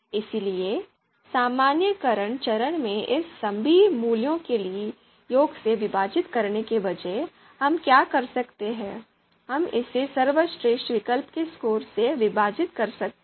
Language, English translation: Hindi, So in the normalization step instead of you know dividing it by the sum of all the values, what we can do is we can divide it by the score of you know best alternative